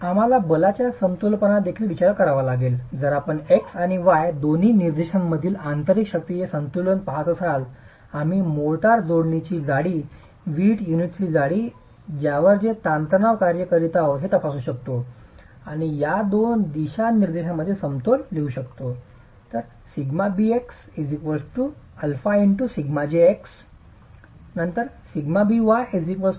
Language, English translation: Marathi, So if you're going to be looking at an equilibrium of internal forces in both the x and the y directions, the lateral directions, we can examine the thickness of the motor joint, the thickness of the brick unit over which these stresses are acting and write down the equilibrium in these two directions